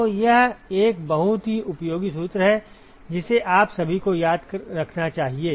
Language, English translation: Hindi, So, this is a very very useful formula that you must all remember